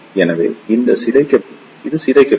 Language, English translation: Tamil, So, this will be distorted